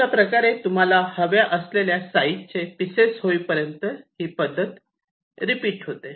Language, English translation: Marathi, so you go on repeating till each of the small pieces are of the desired size